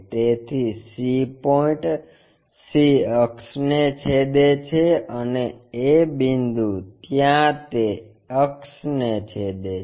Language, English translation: Gujarati, So, c point cuts c axis and a point cuts that axis there